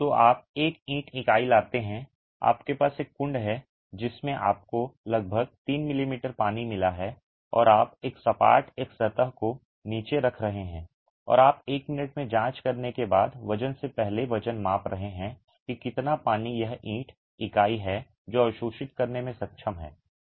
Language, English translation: Hindi, So, you bring a brick unit, you have a trough in which you have got about 3 m m of water and you are placing it flatwise one surface down and you are measuring the weight before the weight after to check in one minute how much of water is this brick unit capable of absorbing